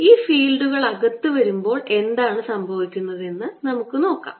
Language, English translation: Malayalam, so let us see when these fields come in, what happens